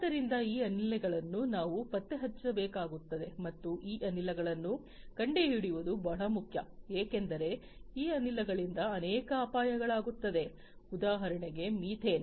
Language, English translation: Kannada, So, these gases we will have to be detected and it is very important to detect these gases, because many of these gases can pose as hazards, because for example, methane